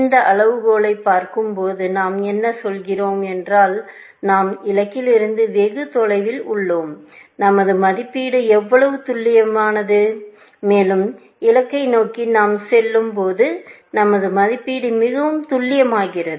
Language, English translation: Tamil, When we are looking at this criterion, we are saying; is that the farther we have from the goal; the less accurate our estimate is, and the closer we go towards the goal, the more accurate our estimate becomes